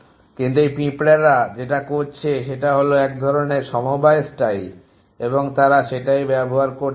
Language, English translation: Bengali, But these ants are using it know kind of cooperative fashion and they want to used